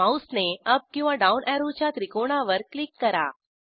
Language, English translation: Marathi, Click on up or down arrow triangles with the mouse